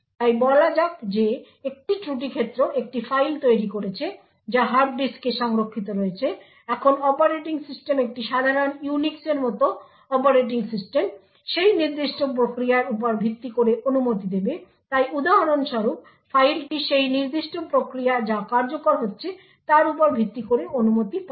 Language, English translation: Bengali, So let us say that one fault domain has created a file which is stored on the hard disk, now the operating system a typical Unix like operating system would give permissions based on that particular process, so the file for example will obtain permissions based on that particular process that is executing, the operating system typically is actually unaware of such fault domains that are present in such a scheme